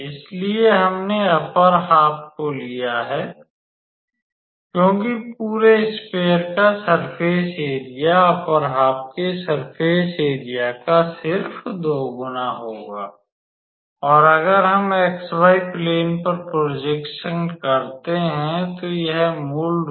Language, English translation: Hindi, So, we have taken the upper half because the surface area of the whole sphere would be just the double of the surface area of the upper half and if we do the projection on xy plane, then it will basically be a circle